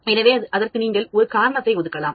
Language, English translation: Tamil, So, you can assign a reason for that